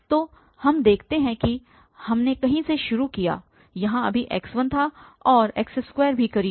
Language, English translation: Hindi, So, what we observe that we started with somewhere here x1 was there now and x2 is closer too